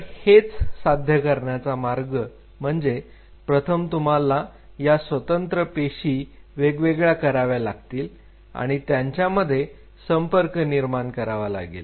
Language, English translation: Marathi, So, the way you are achieving it is that first of all you have to isolate the individual cells and you have to reestablish the contact